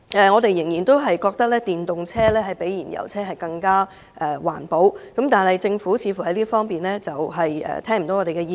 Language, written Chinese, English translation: Cantonese, 我們仍然覺得電動車較燃油車環保，但政府似乎沒有聽取我們的意見。, We still think that electric vehicles are more environmentally - friendly than fuel - engined vehicles but the Government does not seem to concur with us